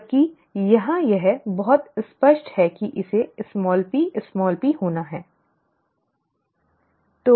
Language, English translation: Hindi, Whereas here it is very clear that it has to be small P small P, okay